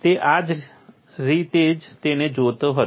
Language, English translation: Gujarati, That is the way he looked at it